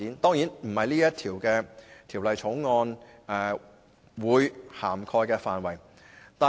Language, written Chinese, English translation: Cantonese, 當然，這不是《條例草案》會涵蓋的範圍。, Of course such objectives are out of the scope of the Bill